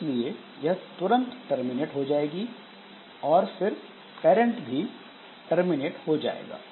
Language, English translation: Hindi, So, it will terminate immediately and the parent will also terminate